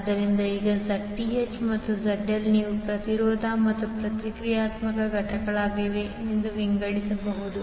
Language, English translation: Kannada, So, now Zth and ZL you can divide into the resistance and the reactance component